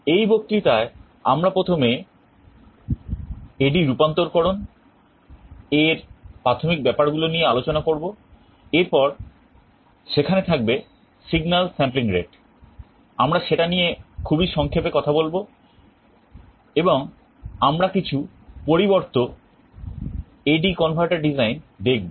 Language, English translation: Bengali, In this lecture we shall first be talking about some of the basics of A/D conversion, then there is something called signal sampling rate, we shall be talking about that very briefly, and we shall be looking at some alternate A/D converter designs